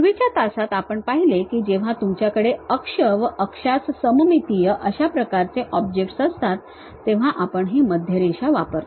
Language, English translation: Marathi, In the earlier classes we have seen when you have axis axisymmetric kind of objects, we use this center line